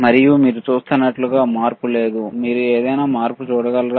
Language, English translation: Telugu, And as you see, there is no change, can you see any change